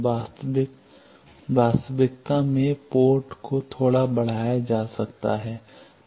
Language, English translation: Hindi, In actual reality the may be port is extended a bit